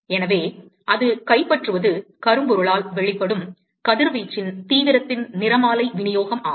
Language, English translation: Tamil, So, what it captures is spectral distribution of intensity of radiation that is emitted by a Black body